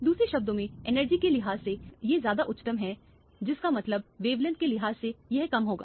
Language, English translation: Hindi, In other words, from the energy wise this is higher; that means, wavelength wise it will be lower